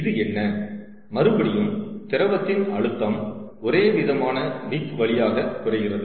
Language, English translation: Tamil, this is, again, liquid pressure drop through the homogeneous wick